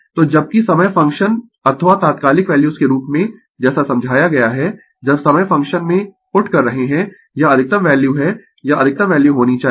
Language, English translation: Hindi, So, whereas, as time function or instantaneous values as explained it is maximum value when you are putting in time function, it should be maximum values